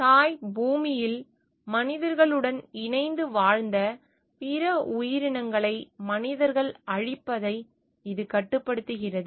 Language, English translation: Tamil, It restricts humans from destroying other creatures that coexisted with humans in the mother earth